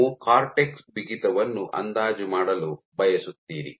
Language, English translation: Kannada, So, you want to estimate the stiffness of the cortex